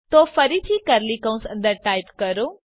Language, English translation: Gujarati, So again type inside curly brackets